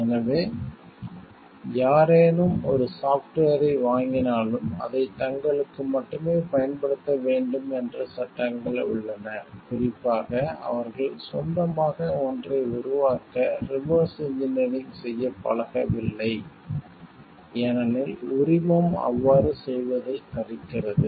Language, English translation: Tamil, So, there are by laws only bound to use it for themselves only and, specifically they are not used to do reverse engineering to create one of their own as the license forbids them from doing so